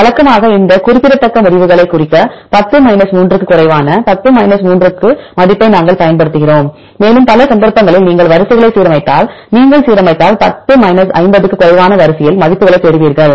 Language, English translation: Tamil, Usually we use the value of 10 3 less than 10 3 right to be indicative of these significant results, and if you align the sequences in many cases you will get the values in the order of less than 10 50 if you align the sequence you will get that